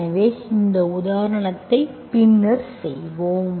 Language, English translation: Tamil, So we will do that example later